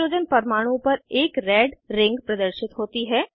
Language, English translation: Hindi, A red ring appears on that Hydrogen atom